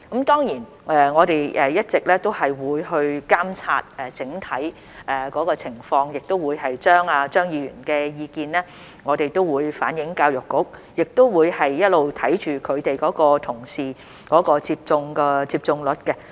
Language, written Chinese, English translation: Cantonese, 當然，我們一直也會監察整體情況，亦會把張議員的意見向教育局反映，也會一直看着他們的同事的接種率。, Certainly we have consistently monitored the overall situation . We will also convey Mr CHEUNGs view to the Education Bureau and we will be keeping a watch on the vaccination rate of their colleagues